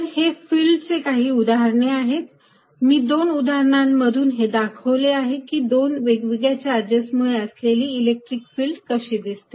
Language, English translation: Marathi, So, these are some example of the field, I given in two examples of what electric field around two different charges looks like